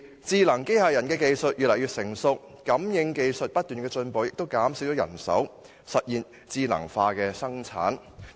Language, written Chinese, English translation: Cantonese, 智能機器人技術越來越成熟，感應器技術不斷進步，減少人手，實現智能化生產。, Intelligent robot technologies have become more and more mature and sensor technologies have been improved continuously resulting in the reduction of manpower and the implementation of intelligent production